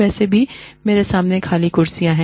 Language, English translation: Hindi, Anyway, there are empty chairs in front of me